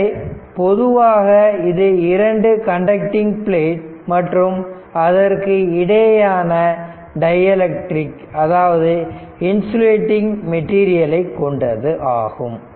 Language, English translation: Tamil, So, this is actually you have a two plate conducting plate and between you have dielectric we call insulating material right